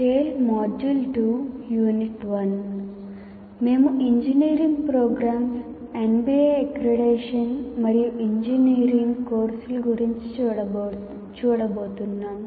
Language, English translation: Telugu, So tell the module two, the unit 1 is we are going to look at engineering programs, what are they, MBA accreditation and engineering courses